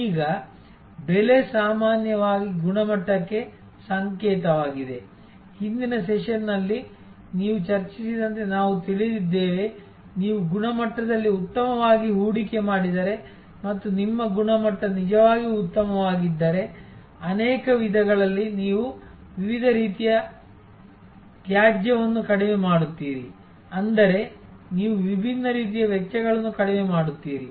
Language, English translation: Kannada, Now, price is often also a signal for quality, we know now as we discussed I think in the previous session that if you invest well in quality and if your quality is really good, then in many ways you will be reducing waste of different kinds, which means you will reduce costs of different kind